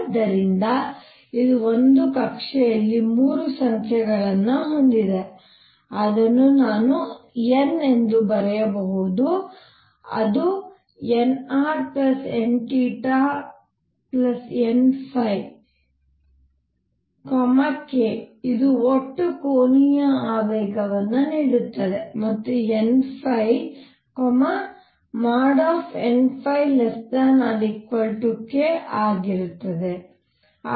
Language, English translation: Kannada, So, this gives that an orbit has 3 numbers, which I could write as n which is same as nr plus n theta plus n phi, k which gives the total angular momentum and n phi, mod n phi being less than or equal to k